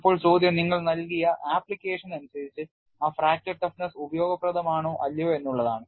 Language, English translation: Malayalam, Now, the question is for your given application, whether that fracture toughness is useful or not